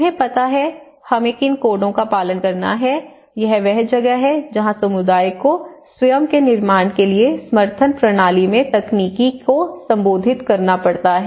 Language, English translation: Hindi, You know, what are the codes we have to follow; this is where the technicality has to be addressed in some support system for the community to build themselves